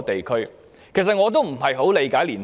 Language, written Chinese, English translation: Cantonese, 其實，我也不很理解青年人。, In fact I do not quite understand young people